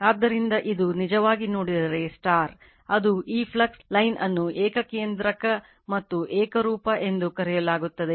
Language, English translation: Kannada, So, this is actually if you look into that, this flux line is you are called your concentric right and uniform